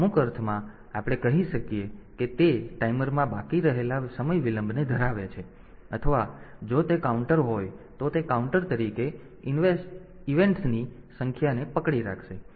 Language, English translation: Gujarati, So, in some sense, we can say that it holds the time delay that is remaining in the timer, or if it is counter then it will hold the number of events as a counter